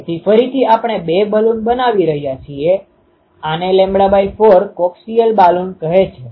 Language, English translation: Gujarati, So, again that is we making the two Balun; this is called lambda by 4 coaxial Balun